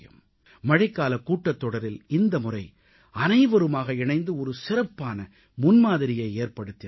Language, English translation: Tamil, In the Monsoon session, this time, everyone jointly presented an ideal approach